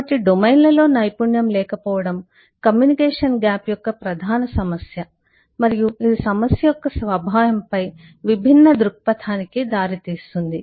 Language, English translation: Telugu, So the lack of expertise across domains is a major issue of communication gap and that gives rise to different perspective on the nature of the problem